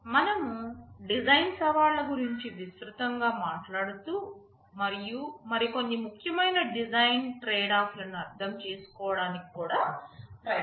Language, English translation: Telugu, We shall broadly be talking about the design challenges, and we shall also be trying to understand some of the more important design tradeoffs